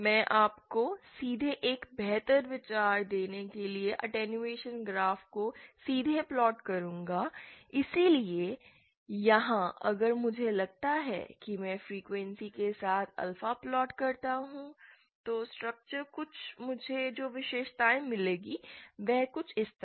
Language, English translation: Hindi, I will just directly plot the attenuation graph to give you a better idea, so here if suppose I plot alpha with frequency, then the then the characteristics that I will get is something like this